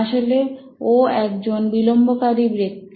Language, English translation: Bengali, Well, he was a procrastinator